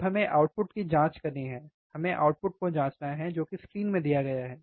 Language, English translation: Hindi, Now we have to check the output, we have to check the output, that is what is given in the screen